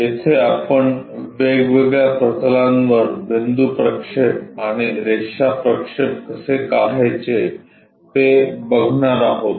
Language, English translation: Marathi, There we are covering how to draw point projections and line projections onto different planes